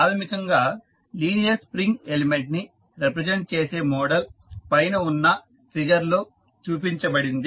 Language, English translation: Telugu, The model representing a linear spring element is basically shown in the figure above